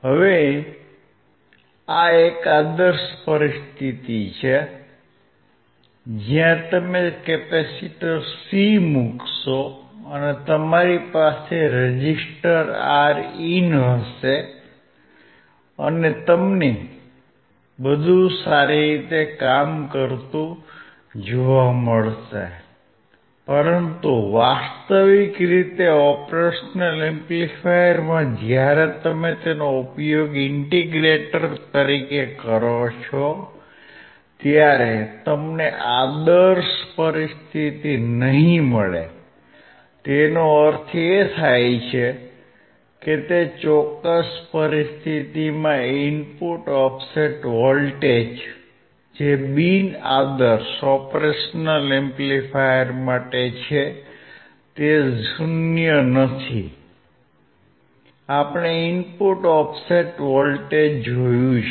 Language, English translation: Gujarati, Now, this is an ideal situation, where you will put a capacitor C and you will have resistor Rin and you will find everything working well, but in actual operation amplifier when you use as an integrator, you will not find the ideal situation; that means, that the in that particular situation the input offset voltage which is for a non ideal Op Amp is not 0 we have seen input offset voltage